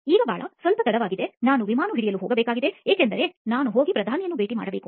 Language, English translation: Kannada, Now Bala, it is bit late I have to go to catch a flight because I have to go and meet the Prime Minister